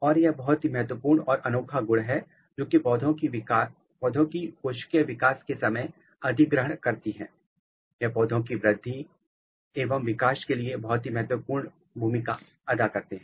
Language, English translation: Hindi, And, this is a very very unique and very important feature which plant cells has acquired during the process of development and playing very important role in plant and growth and development